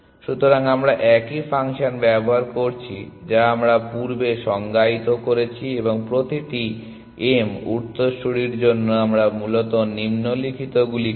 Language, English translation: Bengali, So, we I am using the same function that we have defined earlier and for each m in successors we do the following essentially